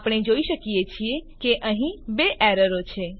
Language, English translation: Gujarati, We can see that there are two errors